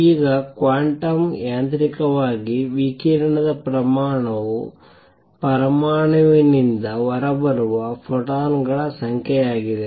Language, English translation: Kannada, Now, quantum mechanically, the rate of radiation would be the number of photons coming out from an atom